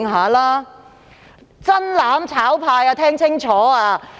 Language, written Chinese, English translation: Cantonese, 我請"真攬炒派"聽清楚。, I now ask the genuine mutual destruction camp to listen to me carefully